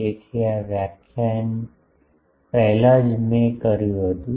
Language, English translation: Gujarati, So, just before this lecture I did